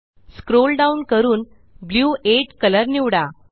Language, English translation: Marathi, Lets scroll down and select the color Blue 8